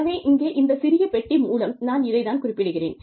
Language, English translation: Tamil, So, that is what, we mean by this little, this box over here